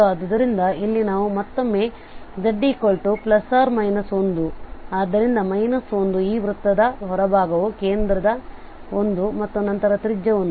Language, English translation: Kannada, So singularities again here we have z plus minus 1, so the minus 1 is outside this circle at center 1 and then the radius 1